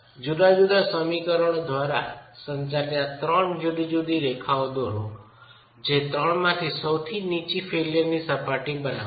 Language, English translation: Gujarati, Draw these three different lines governed by different equations, the lowest of the three will form the failure surface